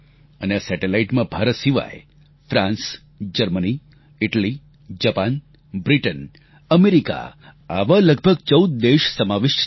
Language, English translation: Gujarati, ' And besides India, these satellites are of France, Germany, Italy, Japan, Britain and America, nearly 14 such countries